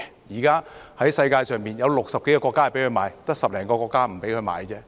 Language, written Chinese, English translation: Cantonese, 現時世界上有60多個國家准許售賣，只有10多個國家不准售賣。, At present more than 60 countries in the world allow the sale of them and only some 10 countries do not allow it